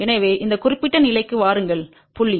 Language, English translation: Tamil, So, come to this particular point